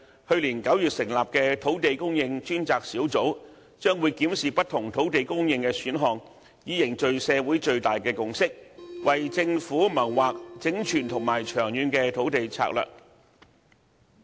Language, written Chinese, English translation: Cantonese, 去年9月成立的土地供應專責小組，將會檢視不同土地供應的選項，以凝聚社會最大共識，為政府謀劃整全和長遠的土地策略。, The Task Force on Land Supply set up in September last year will review different land supply options so as to forge a consensus acceptable by most people in society and formulate for the Government a comprehensive and long - term land strategy